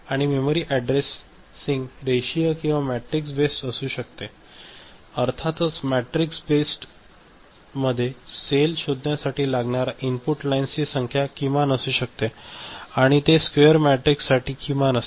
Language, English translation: Marathi, And memory addressing can be linear or matrix based and of course, for matrix based the number of lines input lines to locate a cell can be minimum and it is minimum for square matrix ok